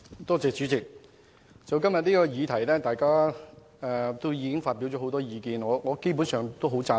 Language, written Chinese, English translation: Cantonese, 代理主席，今天大家就這項議題已發表很多意見，我基本上十分贊同。, Deputy President Members have expressed many views on this motion today . Basically I strongly agree with them